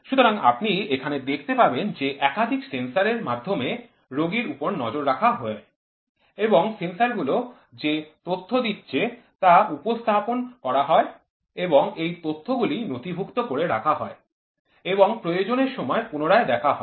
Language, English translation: Bengali, So, here you will see patient is monitored through multiple sensors and these sensors whatever it is the data is getting displayed and then this data is in turn recorded and retrieved as and when it is required